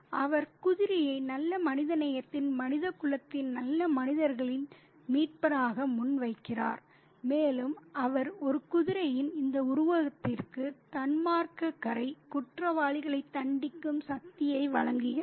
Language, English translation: Tamil, And he presents the horse as a savior of the good, the good humanity, the good people in humanity, and he kind of offers the power of punishing the wicked, the criminals to this figure of a horse